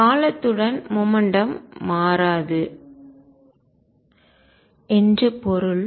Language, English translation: Tamil, It means that momentum does not change with time